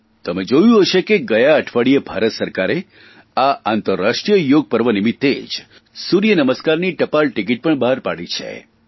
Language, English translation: Gujarati, You must have seen that last week the Indian government issued a postage stamp on 'Surya Namaskar' on the occasion of International Yoga Day